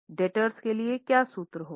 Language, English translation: Hindi, For daters what will be the formula